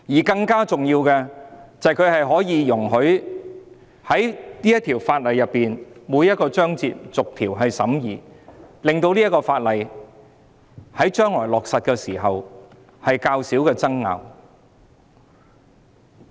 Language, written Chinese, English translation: Cantonese, 更重要的是，它容許我們對法案的每個章節逐一審議，減少有關法例在將來落實時出現爭拗。, More importantly it enables us to scrutinize each section and chapter of the Bill reducing disputes that may arise when the enactment is implemented